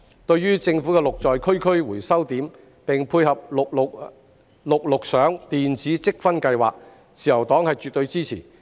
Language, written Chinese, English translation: Cantonese, 對於政府的"綠在區區"回收點，並配合"綠綠賞"電子積分計劃，自由黨絕對支持。, The Liberal Party absolutely supports the GREEN@COMMUNITY recycling points of the Government which is complemented by the GREEN Electronic Participation Incentive Scheme